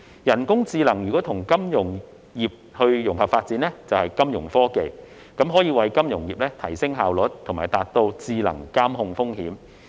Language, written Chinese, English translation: Cantonese, 人工智能與金融產業融合發展，即金融科技，可為金融業提升效率，達到智能監控風險。, The integration of artificial intelligence with the financial industry namely financial technology can enhance the efficiency of the financial industry and achieve intelligent risk monitoring